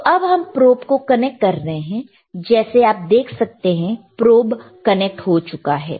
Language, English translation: Hindi, So, we are now connecting the probe as you see the probe is connected ok